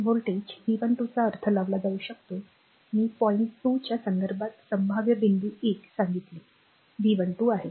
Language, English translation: Marathi, The voltage V 1 2 can be interpreted I told you this one that best way this one the potential point 1 with respect to point 2 is V 1 2